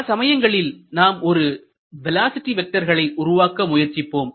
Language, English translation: Tamil, Many times we are interested to construct the velocity vector